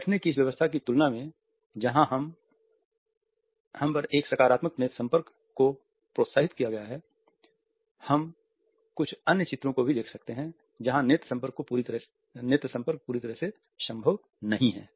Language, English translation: Hindi, In comparison to these seating arrangements where a positive eye contact is encouraged, we can also look at certain other images where the eye contact is not fully possible